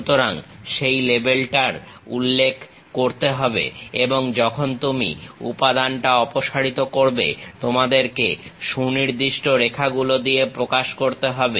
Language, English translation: Bengali, So, that label has to be mentioned and whenever you remove the material, you have to represent by suitable lines